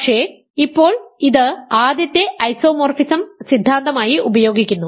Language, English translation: Malayalam, So, now, isomorphism theorem says, what does it say